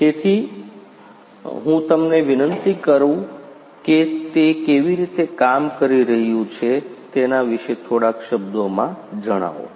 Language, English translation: Gujarati, So, could I request you sir to speak a few words about how it is being done